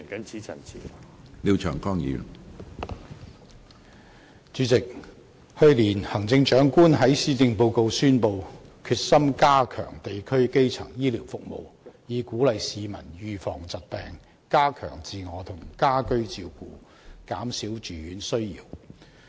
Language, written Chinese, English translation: Cantonese, 主席，去年行政長官在施政報告宣布決心加強地區基層醫療服務，以鼓勵市民預防疾病，加強自我和家居照顧，減少住院需要。, President in the Policy Address of last year the Chief Executive announced her determination to enhance primary health care services in communities as a means of encouraging people to prevent illnesses and stepping up personal and home care so as to reduce the need for hospitalization